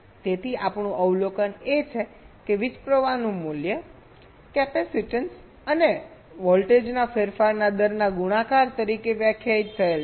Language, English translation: Gujarati, so our observation is: the value of current is defined as the product of the capacitance and the rate of change of voltage